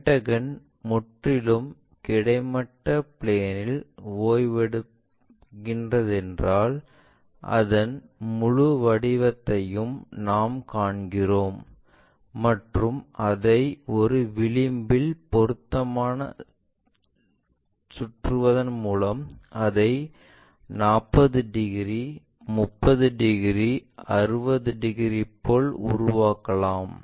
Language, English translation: Tamil, If it is resting on the horizontal plane we see the hexagon completely for example,ah pentagon completely if the pentagon is completely resting on the horizontal plane we see that entire shape, by rotating it suitably one of the edge we can make it like 45 degrees or 30 degrees, 60 degrees and so on